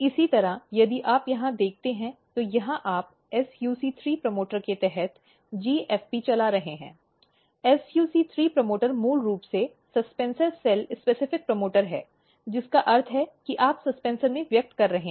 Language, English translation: Hindi, Similarly, if you look here, so here you are driving GFP under SUC3 promoter, SUC3 promoter is basically suspensor cell specific promoter, which means that you are expressing in the suspensor